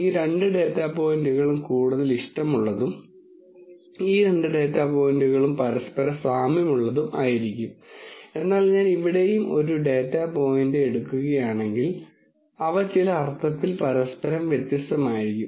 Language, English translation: Malayalam, These two data points will be more like and these two data points will be more like each other, but if I take a data point here and here they will be in some sense unlike each other